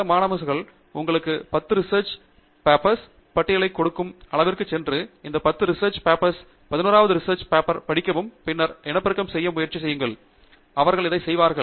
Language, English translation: Tamil, There are some advisors, who would go to the extent of giving you a list of 10 papers, you read these 10 papers and read this 11th paper, and then try to reproduce; they would do that